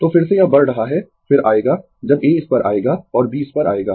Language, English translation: Hindi, So, again it is moving, again will come when A will come to this and B will come to this